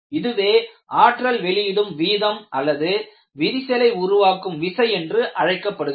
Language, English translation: Tamil, This is known as energy release rate or crack driving force